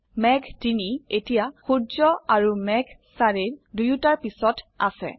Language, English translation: Assamese, Cloud 3 is now behind both the sun and cloud 4